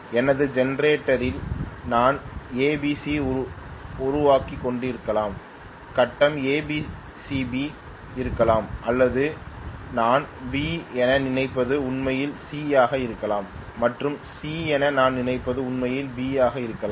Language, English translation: Tamil, I may be generating ABC in my generator may be the grid is in A C B or I am thinking that what is my B may be actually C and what I am thinking as C may be actually B